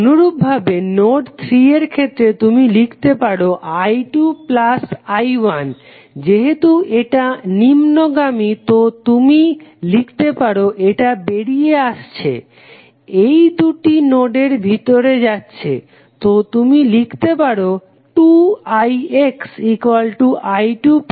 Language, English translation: Bengali, Similarly, for node 3 if you write in this case node 3 would be i 2 plus i 1 plus since it is in downward direction so you can write this is going out, these two are going in the node, so you can write 2 i X is equal to i 1 plus i 2, right